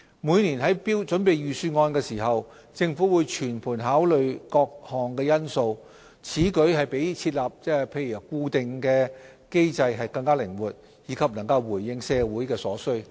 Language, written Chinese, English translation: Cantonese, 每年於準備預算案時，政府會全盤考慮各項因素，此舉比設立固定機制更靈活，以及能回應社會所需。, When preparing the Budget each year the Government will comprehensively take into account various factors . This provides more flexibility than introducing a permanent mechanism and can cater to social needs